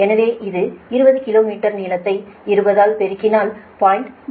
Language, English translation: Tamil, so it is twenty kilometer length multiplied by twenty